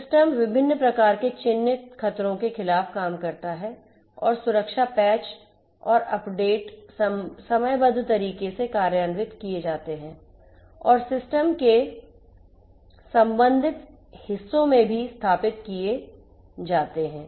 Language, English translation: Hindi, The system works against different types of identified threats and the security patches and updates are implemented in a timely fashion and are also installed in the relevant parts of the system and so on